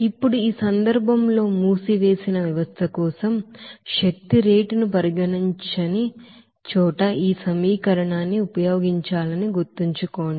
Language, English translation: Telugu, Now in this case, remember that for the closed system, this equation to be used where the rate of the energy is not being considered